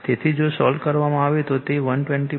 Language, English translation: Gujarati, So, if you solve it it will be 120